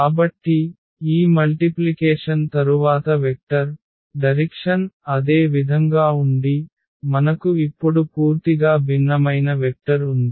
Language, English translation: Telugu, So, we do not have such relation that after multiplication the vector direction remains the same, we have a completely different vector now Au